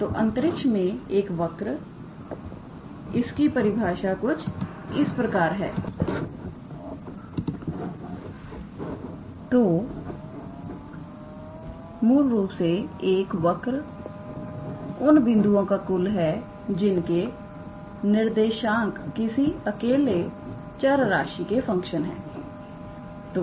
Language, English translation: Hindi, So, a curve in space; a formal definition goes like this; basically, a curve is an aggregate; of points whose co ordinates are functions of a single variable